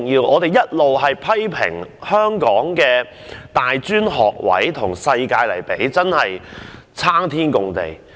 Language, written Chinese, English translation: Cantonese, 我們一直批評香港的大專學位，與世界其他國家相比真的差天共地。, There have been criticisms that our tertiary institutions have far less places than those in other countries